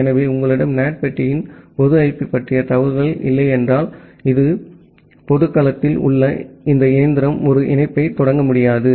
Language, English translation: Tamil, So, unless you have a information of the public IP of the NAT box, this machine in the public domain will not be able to initiate a connection